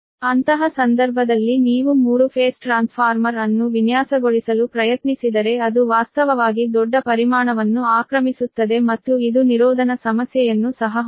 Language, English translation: Kannada, in that case, if you try to design a three phase transformer then it occupies actually a huge volume and insu insulation problem also right